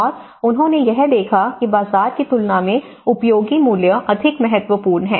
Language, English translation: Hindi, And he tried to see that the use value is more significant than the market value